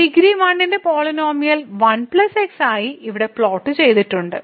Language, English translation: Malayalam, So, we have the polynomial of degree 1 as 1 plus which is plotted here